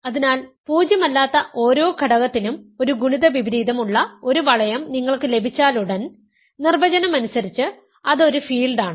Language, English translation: Malayalam, So, as soon as you have a ring where every non zero element has a multiplicative inverse, it is a field by definition right